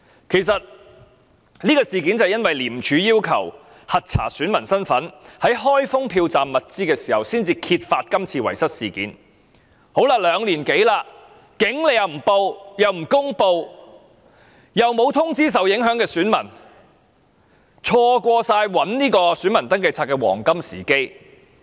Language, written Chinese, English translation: Cantonese, 其實，這個事件是因為廉政公署要求核查選民身份，在開封票站物資時才揭發的，但經過兩年多時間後，處方不但不報案，而且不公布有關詳情，又沒有通知受影響的選民，錯過尋找選民登記冊的黃金時機。, Actually this incident came to light only when polling station materials were being unsealed at the request of the Independent Commission Against Corruption ICAC to verify electors identities . But more than two years on REO has neither reported the incident to police nor released the details nor informed the affected electors thus squandering the golden opportunity to look for the Register of Electors